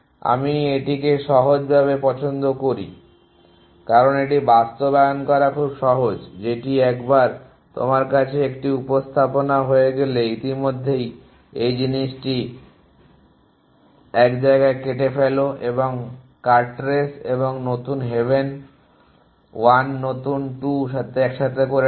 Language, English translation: Bengali, We like it simply, because it is very easy to implement that is once you have a representation the already do is cut of this thing at 1 place and put together the cut race and new haven 1 new 2